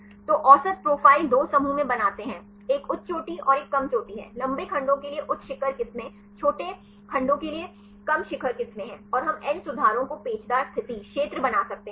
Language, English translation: Hindi, So, get the average profile make into two groups one is a high peak and low peak, high peak strands for longer segments low peak strands for the shorter segments and we can find n corrections make the helical position, regions